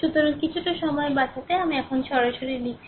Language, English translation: Bengali, So, to save sometime so, I have directly now writing